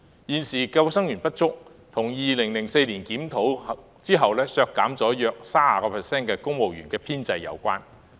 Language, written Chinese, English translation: Cantonese, 現時之所以沒有足夠救生員，是跟2004年進行檢討後政府削減約 30% 公務員編制有關。, The current shortfall of lifeguards actually has something to do with the reduction of the establishment of civil service lifeguards by some 30 % following the Governments review conducted in 2004